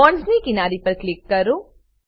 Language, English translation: Gujarati, Click on the edges of the bonds